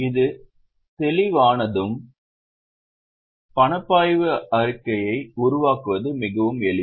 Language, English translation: Tamil, Once this is clear, making of cash flow statement is really very simple